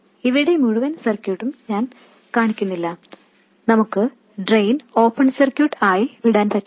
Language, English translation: Malayalam, By the way I am not showing the whole circuit here we can't leave the drain open circuited and so on